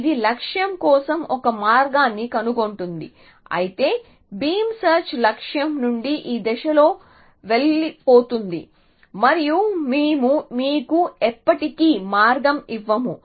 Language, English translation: Telugu, It will find a path for the goal but beam search go off in this direction away from the goal and we never actually give you a path